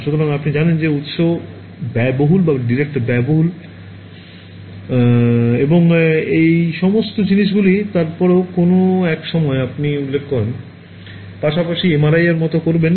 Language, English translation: Bengali, So, you know source is expensive or detector is expensive and all of those things, then at some point you will be like as well do MRI right